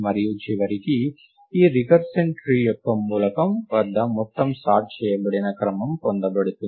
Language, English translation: Telugu, And eventually the whole sorted sequence is obtained at the root of this recursion tree